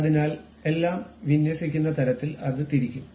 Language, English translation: Malayalam, So, it will be rotated in such a way that everything will be aligned